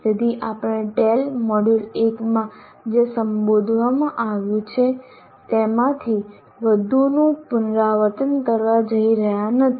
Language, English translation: Gujarati, So we are not going to repeat much of what has been addressed in tail module 1